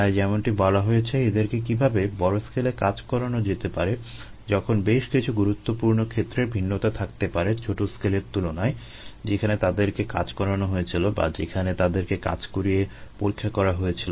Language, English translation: Bengali, so, as mentioned, how can one make them work at large scale when many crucial aspects to be different from the small scale where they were made to work or where they were demonstrated to work